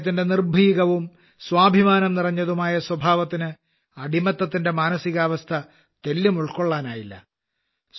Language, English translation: Malayalam, His fearless and selfrespecting nature did not appreciate the mentality of slavery at all